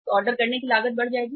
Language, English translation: Hindi, So the ordering cost will go up